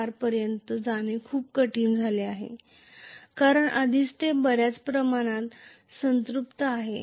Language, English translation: Marathi, 4 became very difficult, because already it is saturated to a large extent